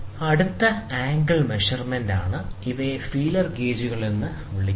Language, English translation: Malayalam, The next one is angle measurement, these are called as a feeler gauges